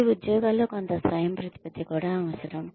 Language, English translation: Telugu, They also need some autonomy in their jobs